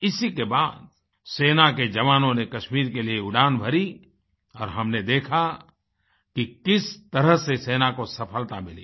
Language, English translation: Hindi, And immediately after that, our troops flew to Kashmir… we've seen how our Army was successful